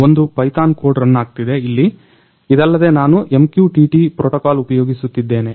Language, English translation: Kannada, So, here one Python code is running over here, apart from this I am using the MQTT protocol